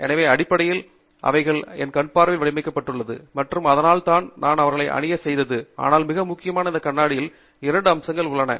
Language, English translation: Tamil, So, basically, they have been designed for my eyesight and that is why I am wearing them, but the most importantÉ there are two aspects of this glass which makes it inadequate as a safety device